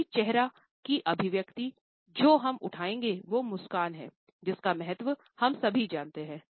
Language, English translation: Hindi, The next facial expression which we shall take up is this smile